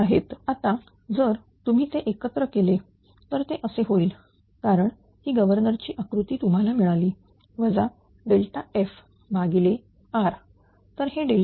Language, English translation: Marathi, Now if you combine ; now, it will be like this because this block this governor one you got it know u minus del f R upon ah this one this is delta E